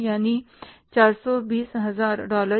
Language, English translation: Hindi, That is $420,000